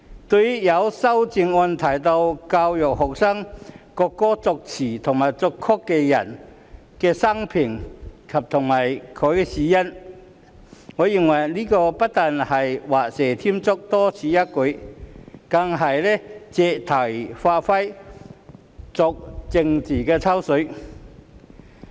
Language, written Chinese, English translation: Cantonese, 對於有修正案要求教育學生國歌作詞人及作曲人的生平及死因，我認為這不但是畫蛇添足、多此一舉，更是借題發揮、作政治"抽水"。, As regards the amendment requiring that students be educated on the biography and cause of death of the lyricist and the composer of the national anthem I consider it not only superfluous and redundant but also a move to make an issue to play a political piggyback